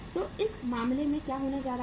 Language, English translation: Hindi, So in this case what is going to happen